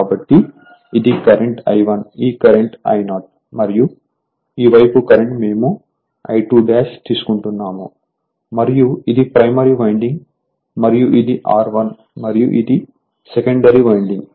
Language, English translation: Telugu, So, this is the current I 1, this is the current I 0 and this side current is say we are taking I 2 dash and this is my primary winding right and this is my R 1 and my secondary winding is this one